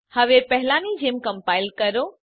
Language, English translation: Gujarati, Now compile as before